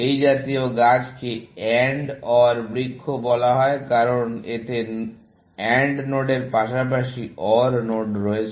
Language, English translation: Bengali, So, such a tree is called an AND OR tree, because it has AND nodes as well as OR nodes in that